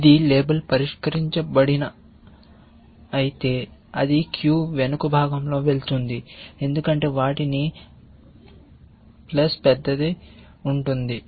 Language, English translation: Telugu, Even if this one will gets label solved, it will go at the rear of the queue because those will have plus large